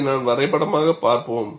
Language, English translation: Tamil, We would see this graphically